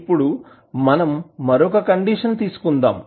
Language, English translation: Telugu, Now, let us take another condition